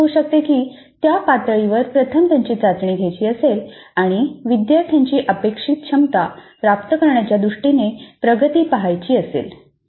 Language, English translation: Marathi, It could be that they would like to first test at that level and see what is the progress of the students in terms of acquiring competencies stated